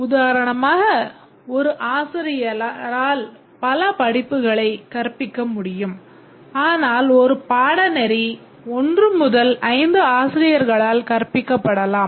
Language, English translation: Tamil, Just to give an example, a faculty can teach many courses, but a course may be taught by 1 to 5